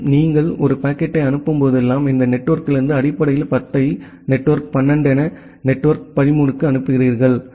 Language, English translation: Tamil, And whenever you are forwarding a packet, you are forwarding the packet from basically from this network the network of as 10 to the network of as 12, via either the network of as 11 or network of as 13